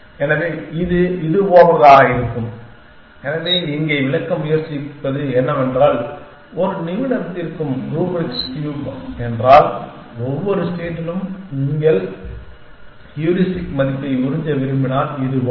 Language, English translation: Tamil, So, it will be something like this, so whatever trying to illustrate here is that if a expert the solving is the rubrics cube, then at each state on the way if you want to flirt the heuristic value it would something like this